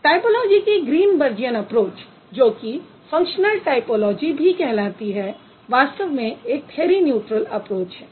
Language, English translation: Hindi, So, Greenberg an approach of typology which is also known as functionalist typology is a theory neutral approach